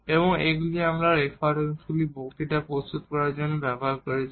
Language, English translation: Bengali, And these are the references we have used for preparing the lectures